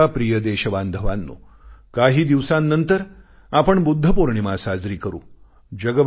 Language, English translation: Marathi, My dear countrymen, a few days from now, we shall celebrate Budha Purnima